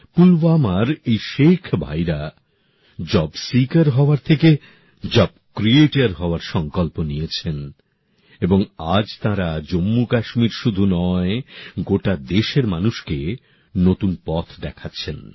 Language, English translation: Bengali, The Sheikh brothers of Pulwama took a pledge to become a job creator instead of a job seeker and today they are showing a new path not only to Jammu and Kashmir, but to the people across the country as well